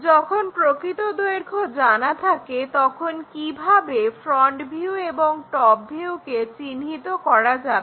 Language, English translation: Bengali, Let us ask another question, when true length is known how to locate front view and top view